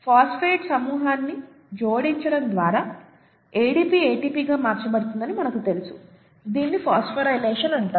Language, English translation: Telugu, ADP getting converted to ATP we know is by addition of a phosphate group, it is called phosphorylation